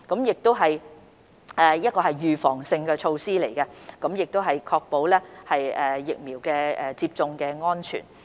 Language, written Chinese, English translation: Cantonese, 此乃預防性措施，旨在持續確保疫苗接種安全。, This is a precautionary measure to continuously ensure vaccine safety